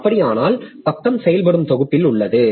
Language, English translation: Tamil, So, if so, the page is in working set